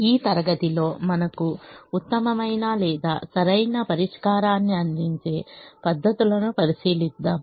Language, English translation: Telugu, in this class we will look at methods that provide us the best or the optimal solution